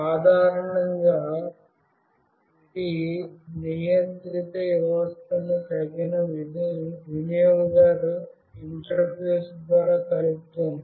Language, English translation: Telugu, Typically, it connects a controlled system through a suitable user interface